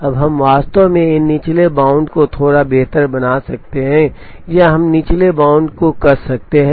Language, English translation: Hindi, Now, we can actually make these lower bound slightly better or we can tighten the lower bound